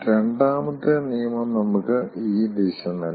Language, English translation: Malayalam, second law gives something more